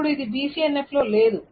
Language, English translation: Telugu, Now, of course, this is not in BCNF